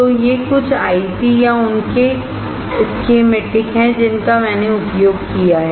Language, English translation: Hindi, So, these are some of the ICs or a schematic that I have used